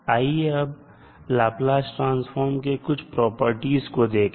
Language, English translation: Hindi, Now, let's see few of the properties of Laplace transform